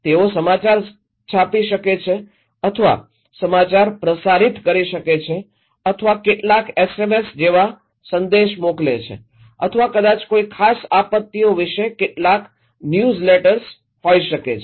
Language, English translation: Gujarati, They can publish news or broadcast news or some send message like SMS or maybe some newsletters about a particular disasters